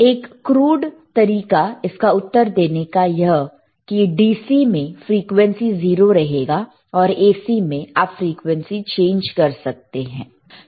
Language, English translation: Hindi, In a very crude way to answer this particular question, the DC would have 0 frequency while AC you can change the frequency